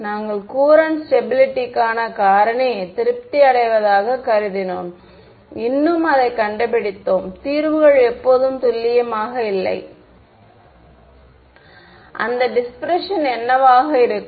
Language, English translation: Tamil, We assumed Courant stability factor is being satisfied, still we found that solutions were not always accurate, what was that dispersion right